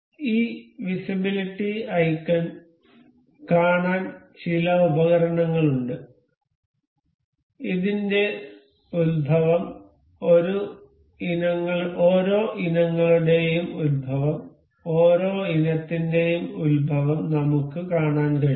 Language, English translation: Malayalam, So, there are some tools to see this visibility icon, we can see the origin of this, origin of each of the items, we can see origin of each items